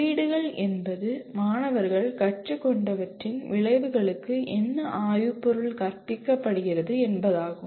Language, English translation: Tamil, Inputs would mean what material is taught to the outcomes to what students have learned